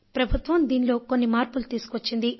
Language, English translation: Telugu, The Government has made some changes in the scheme